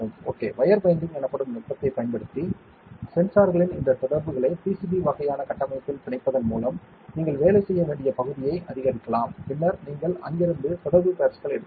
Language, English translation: Tamil, So, you can increase the area that you have to work with by bonding these contacts of the sensors on to a PCB kind of structure using a technique called wire bonding and then you can take the contact pads from there